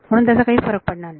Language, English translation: Marathi, So, it does not matter